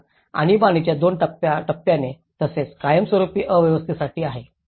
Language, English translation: Marathi, So, there is two phases of the emergency phase and as well as the permanent phase